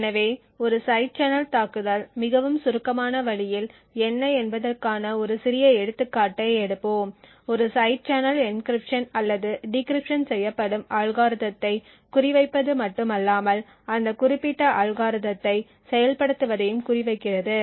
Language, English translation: Tamil, So will take a small example of what a side channel attack is in a very abstract way, a side channel not only targets the algorithm that is used for encryption or decryption but also targets the implementation of that particular algorithm